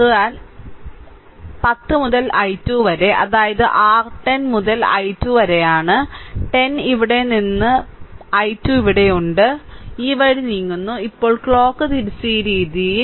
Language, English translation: Malayalam, So, 10 into i 2, right that is your 10 into i 2 is here 10 into i 2 is here plus, you are moving this way, now clock wise this way